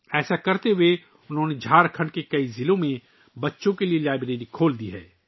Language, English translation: Urdu, While doing this, he has opened libraries for children in many districts of Jharkhand